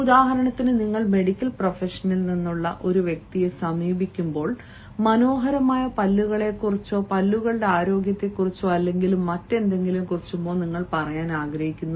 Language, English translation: Malayalam, for example, approach a person from the medical profession if you wants to talk about, say, beautiful teeth or health of the teeth or whatsoever